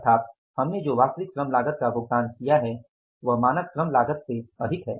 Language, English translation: Hindi, It means actual labor cost we have paid is more than the standard labor cost